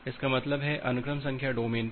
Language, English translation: Hindi, That means, at the sequence number domain